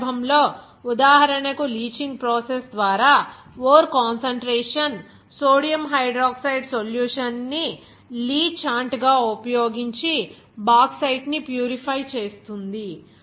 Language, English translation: Telugu, In this case, for example, say that ore concentration by leaching process is the purification of Bauxite using sodium hydroxide solution as a lea chant